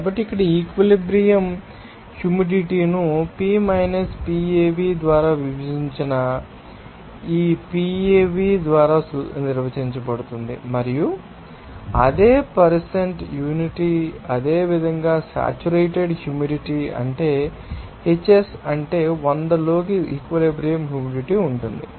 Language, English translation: Telugu, So, here the saturation humidity would be defined by this PAv divided by P PAv and what should be the percent is unity similarly, what will be you know absolute humidity that means Hs is saturated humidity into 100